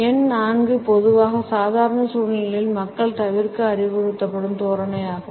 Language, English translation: Tamil, Numerical 4 is normally the posture which people are advised to avoid during formal situations